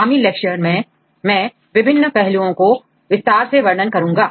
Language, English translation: Hindi, In this subsequent lecture, I will describe the details on various aspects